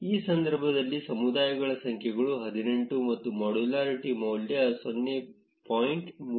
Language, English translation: Kannada, In our case, we can see that the numbers of communities are 18 and the modularity score is 0